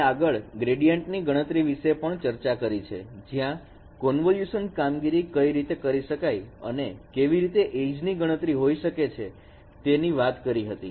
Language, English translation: Gujarati, We also discussed gradient computation where we have discussed how ages could be computed and convolution operations